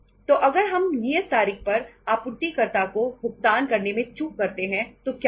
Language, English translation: Hindi, So if we default in making the payment to the supplier on the due date then what will happen